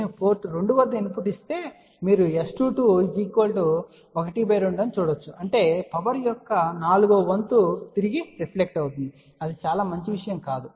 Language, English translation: Telugu, So, what will happen if I give a input at port 2 you can see that S 2 2 is half, so that means 1 fourth of the power will reflect backthat is not a very good thing and out of that rest of it